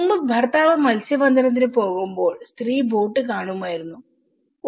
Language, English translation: Malayalam, Earlier, husband when he goes for fishing the woman used to see the boat, oh